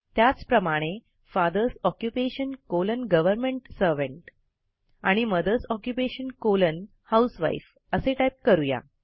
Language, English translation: Marathi, Similarly, we type FATHERS OCCUPATION colon GOVERNMENT SERVANT and MOTHERS OCCUPATION colon HOUSEWIFE as different points